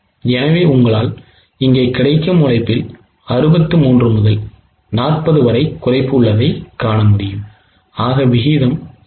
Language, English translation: Tamil, So, you can see here there is a reduction in the labor available to them from 63 to 40 which is in the ratio of 0